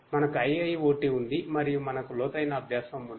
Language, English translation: Telugu, We have IIoT, we have IIoT and we have deep learning